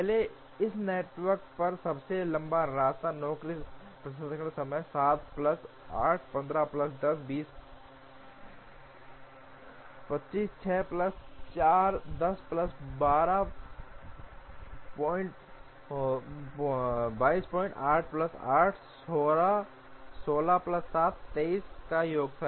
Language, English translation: Hindi, Earlier the longest path on this network was the sum of the job processing times 7 plus 8 15 plus 10, 25, 6 plus 4 10 plus 12